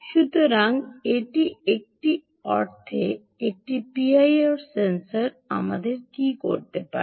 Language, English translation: Bengali, so this is, in a sense, what a p i r sensor can do to us, right